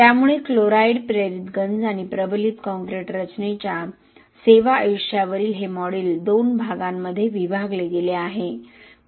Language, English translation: Marathi, So this module on chloride induced corrosion and service life of reinforced concrete structure is split into 2 parts